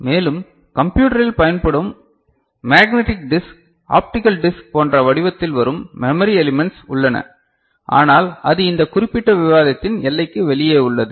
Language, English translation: Tamil, And also there are memory elements which is coming in the form of you know, magnetic disk ok, optical disk that we have used we are using in computers, but that is outside the purview of these particular discussion